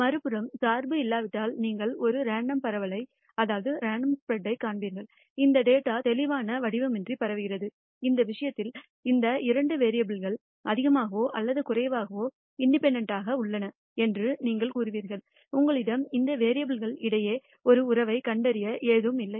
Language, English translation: Tamil, On the other hand if there is no dependency you will nd a random spread, this data will be spread all around with no clear pattern, in which case you will say that there are these two variables are more or less independent and you do not have to discover a relationship between these variables